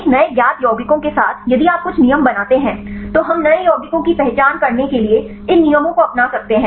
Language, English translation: Hindi, With a new known compounds if you make some rules, then we can adopt these rules to identify the new compounds